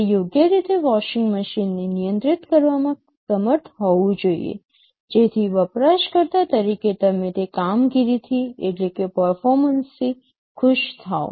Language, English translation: Gujarati, It should be able to control the washing machine in a proper way, so that as a user you would be happy with the performance